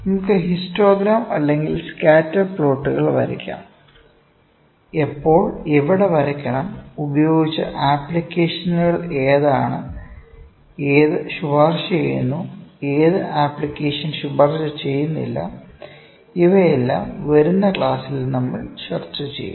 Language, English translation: Malayalam, We can draw histograms, we can draw scatter plots, what and where to draw, what are the ways applications and which is not recommended at what place we will discuss these things, ok